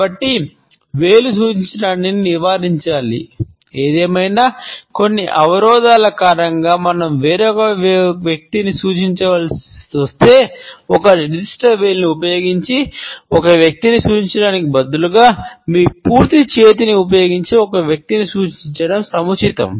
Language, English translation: Telugu, So, finger pointing should be avoided; however, if because of certain constraints we have to point at certain other person, it would be still appropriate to point at a person using your complete hand, instead of pointing a person using a particular finger